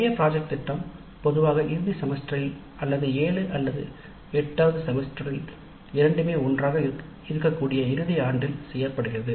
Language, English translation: Tamil, The major project is usually done either in the final semester or in the final year that is both seventh and eight semester together and it has substantial credit weightage